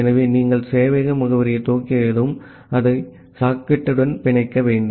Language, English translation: Tamil, So, once you have initialized the server address, you have to bind it with the socket